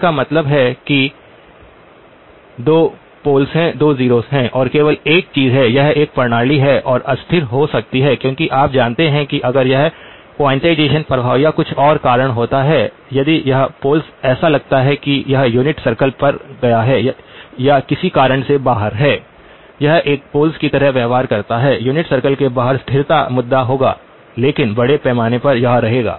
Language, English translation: Hindi, That means there are 2 poles, 2 zeros and the only thing is this is a system that could become unstable because you know if due to quantization effects or something if this pole looks like it has gone on to the unit circle or for some reason outside that behaves like a pole, outside the unit circle the stability would be the issue but by and large this would